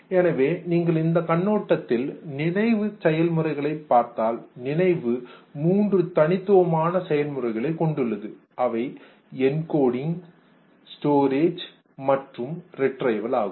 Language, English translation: Tamil, So, from that perspective if you look at the memory process, memory has three distinct processes encoding, storage and retrieval